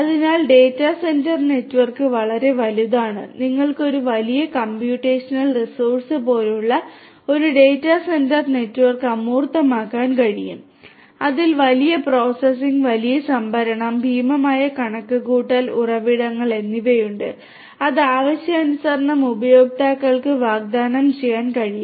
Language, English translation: Malayalam, So, data centre network are huge you know you can abstract a data centre network like a huge computational resource which has huge processing, huge storage, huge computational resources, you know which can be offered to end users as per requirements and so on